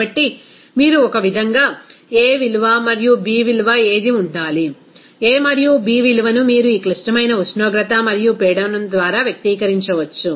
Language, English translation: Telugu, So, one way you can express that what should be a value and b value, that a and b value you can express by this critical temperature and pressure